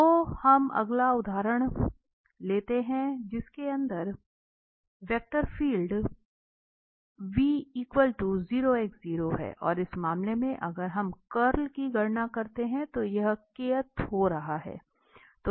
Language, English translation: Hindi, So, we take the next example where 0, x, 0 is the vector field and in this case if we compute the curl it is coming to be k